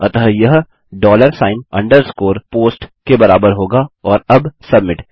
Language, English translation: Hindi, So this will be equal to dollar sign underscore POST and now submit